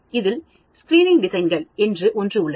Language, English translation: Tamil, So, we have something called Screening Designs